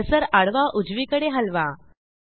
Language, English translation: Marathi, Move the cursor horizontally towards right